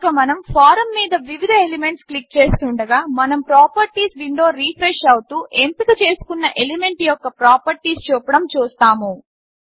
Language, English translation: Telugu, So as we click on various elements on the form, we see that the Properties window refreshes to show the selected elements properties